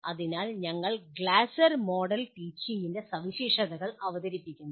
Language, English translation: Malayalam, So we present the features of Glasser Model of Teaching